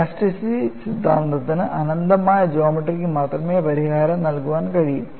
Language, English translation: Malayalam, See, if theory of elastic can provide solution only for infinite geometry, all practical geometries are finite